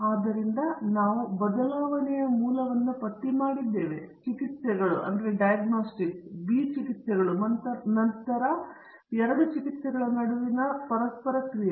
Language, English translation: Kannada, So, we have listed the source of variation; A treatments, B treatments and then the interaction between the two treatments